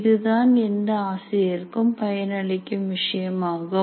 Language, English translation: Tamil, This is something that all faculty can benefit